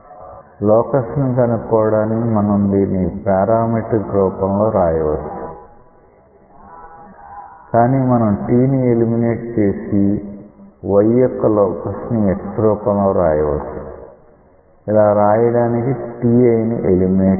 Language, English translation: Telugu, To get that locus it is it may be convenient even you may write it in a parametric form, but conceptually you may eliminate t to write the locus y as a function of x whereas, to write this you have to eliminate t i